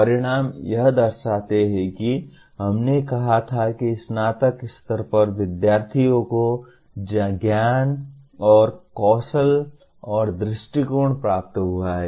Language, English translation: Hindi, Outcomes represent as we said what the knowledge and skills and attitude students have attained at the time of graduation